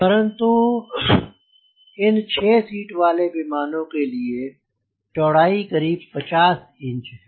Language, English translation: Hindi, for this aeroplane the width is around fifty inches